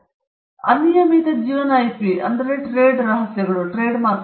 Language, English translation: Kannada, The other will be the unlimited life IP trade secrets, trademarks